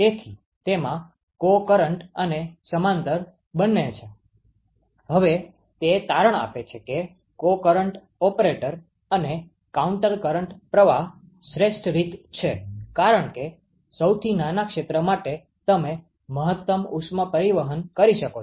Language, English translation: Gujarati, So, it has both co current and parallel; now what it turns out is that the co current operator and the counter current flow is the best mode right because for as smallest area you can have maximum heat transport